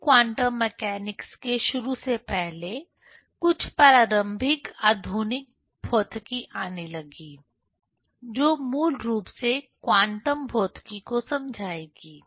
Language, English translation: Hindi, Before starting the rigorous quantum mechanics; some preliminary modern physics started to come, that basically will deal the quantum physics, right